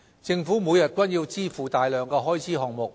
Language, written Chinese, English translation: Cantonese, 政府每天均要支付大量開支項目。, The Government has to make payments for a large number of expenditure items every day